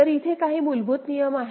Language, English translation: Marathi, So, you see there are some basic rules